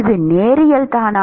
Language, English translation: Tamil, Is it linear